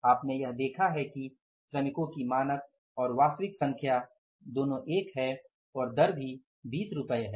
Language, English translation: Hindi, You have seen it that number of workers are two both standard and actual and the rate is also 20 rupees